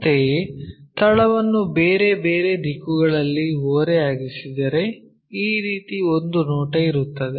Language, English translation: Kannada, Similarly, if it is if the base is inclined at different directions, we will have a view in this way